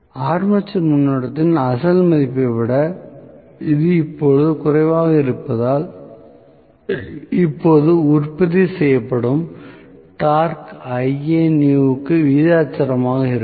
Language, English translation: Tamil, Because it is now less than the original value of armature current, what is going to happen now is, the torque that is produced is going to be proportional to Ianew